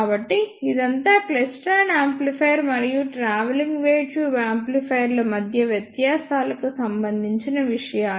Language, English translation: Telugu, So, this is all about the ah differences between klystron amplifier and travelling wave tube ah amplifiers